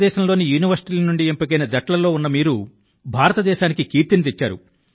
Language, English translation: Telugu, First of all, I congratulate the team selected from the universities of India… you people have brought glory to the name of India